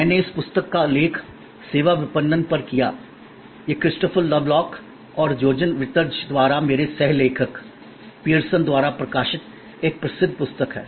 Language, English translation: Hindi, I referred to this book on Services Marketing, it is a famous book by Christopher Lovelock and Jochen Wirtz my co authors, published by Pearson